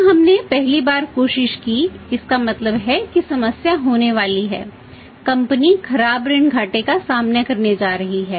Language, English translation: Hindi, When we tried for the first time so it means that is going to have the problem the company is going to face that is of the increased by the bad debt losses